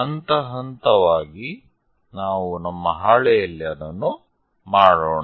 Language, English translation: Kannada, Let us do that on our sheet step by step